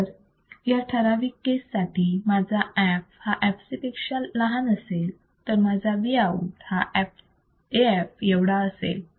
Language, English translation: Marathi, If my f is less than fc, in this particular case, then my Vout will be nothing but AF